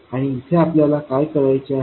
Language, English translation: Marathi, So, what do we need to do here